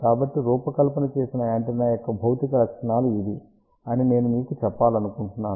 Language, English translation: Telugu, So, I just want to tell you these are the physical specifications of the design antenna